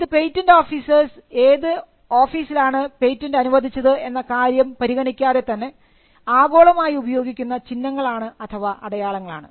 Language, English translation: Malayalam, Now, these are universal codes which are used by patent officers regardless of the office in which the patent is granted